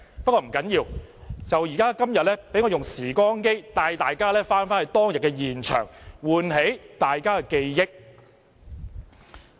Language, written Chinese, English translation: Cantonese, 不要緊，今天就讓我用"時光機"帶大家回到當天現場，喚起大家的記憶。, It does not matter; let me bring Members back to what we discussed at that time to refresh your memory